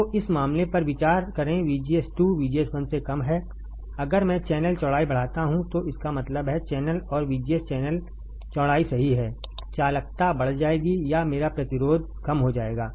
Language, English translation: Hindi, So, let this case consider VGS 2 is less than VGS 1; that means, channel and VGS VG s is channel width right if I increase channel width my conductivity would increase, or my resistance would decrease